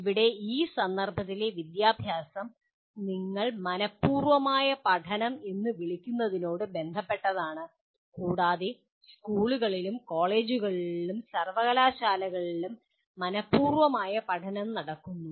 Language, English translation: Malayalam, Here education in this context is concerned with what you call intentional learning, and intentional learning happens in schools, colleges and universities